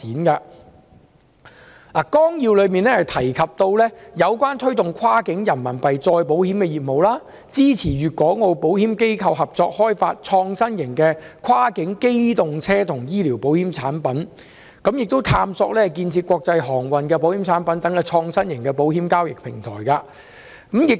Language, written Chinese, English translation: Cantonese, 《規劃綱要》提到，推動內地與香港、澳門保險機構開展跨境人民幣再保險業務、支持粵港澳保險機構合作開發創新型的跨境機動車保險和跨境醫療保險產品，並探索建設國際航運保險產品等創新型保險交易平台。, The Plan also talks about encouraging insurance companies in the Mainland to join hands with Hong Kong and Macao insurance companies to engage in cross - boundary Renminbi reinsurance operations supporting insurance organizations in the three places to work together in the development of innovative cross - boundary insurance products such as those for motor vehicles and health and exploring the establishment of a trading platform for innovative insurance products such as those for international maritime services